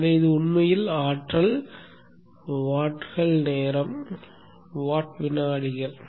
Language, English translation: Tamil, So this is actually the energy, vats into time, watt seconds